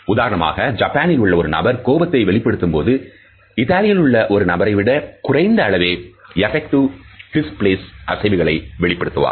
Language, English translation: Tamil, For example, a person from Japan who is expressing anger show significantly fewer effective display movements then is Italian counterpart